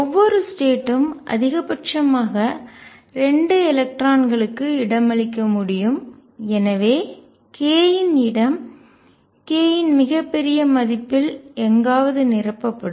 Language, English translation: Tamil, Each state can maximum accommodate 2 electrons and therefore, the k space is going to be filled up to somewhere in very large value of k